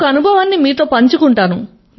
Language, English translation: Telugu, I would love to share one of my experiences